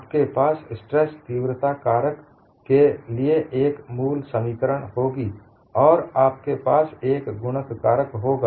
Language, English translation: Hindi, You will have a basic expression for stress intensity factor, and you will have a multiplying factor